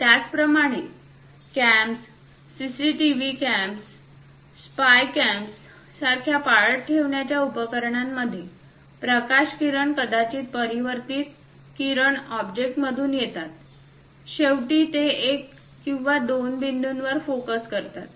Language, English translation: Marathi, Similarly, in surveillance like cams, CCTV cams, spy cams; the light rays are perhaps from the object the reflected rays comes, finally focused it either one point or two points